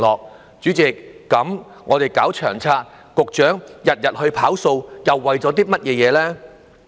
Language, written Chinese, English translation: Cantonese, 代理主席，我們搞《長策》，局長日日"跑數"，又為了甚麼呢？, Deputy President we have formulated LTHS and the Secretary has to work day in day out in order to achieve the target but what is it all for?